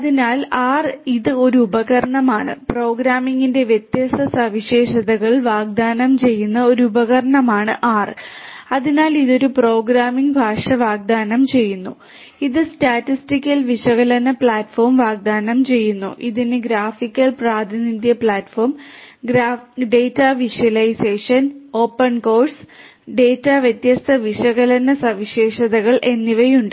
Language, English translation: Malayalam, So, R it is a tool; R is a tool which offers different features; different features of programming you know so it offers a programming language, it offers statistical analysis platform, it has graphical representation platform, data visualization, open source its R is open source and has different data analytics features